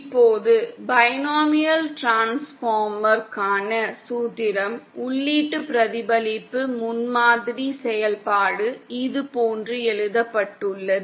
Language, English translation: Tamil, Now the formula for the binomial transformer, the input reflection prototype function is written like this